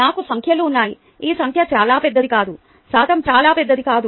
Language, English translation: Telugu, this number is not too large, percentage is not too large